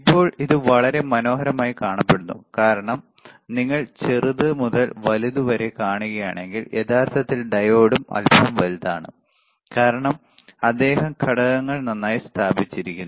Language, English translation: Malayalam, Now it is kind of it looks very beautiful because if you see from smaller to bigger actually diode is also little bit big in terms of he has placed the components it looks good, all right